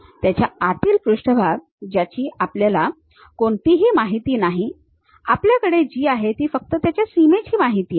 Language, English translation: Marathi, A surface inside of that which we do not have any information, what we have is only the boundary information's we have